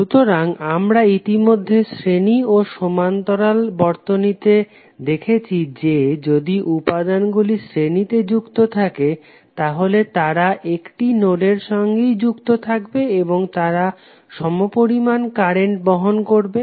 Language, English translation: Bengali, So that we have already seen in the series and parallel circuit analysis that if the elements are connected in series means they will share a single node and they will carry the same amount of current